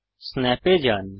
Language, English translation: Bengali, Go to Snap